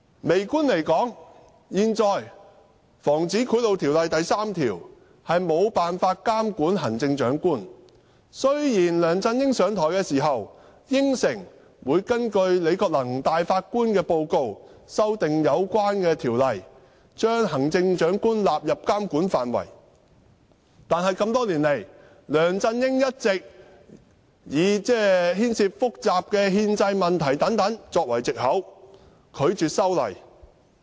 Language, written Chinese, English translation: Cantonese, 微觀而言，現行《防止賄賂條例》第3條無法監管行政長官，雖然梁振英上台時，曾答應會根據前首席法官李國能的報告，修訂有關的條例，將行政長官納入監管範圍，但多年來，梁振英一直以牽涉複雜的憲制問題等作為藉口，拒絕修例。, Speaking from a microscopic perspective section 3 of the existing Prevention of Bribery Ordinance cannot regulate the Chief Executive . When LEUNG Chun - ying took office he promised that he would amend the Ordinance in accordance with the report submitted by the former Chief Justice Andrew LI to include Chief Executive into the scope of regulation . However in the past years LEUNG Chun - ying has refused to amend the Ordinance with the excuse that the subject involves complex constitutional issues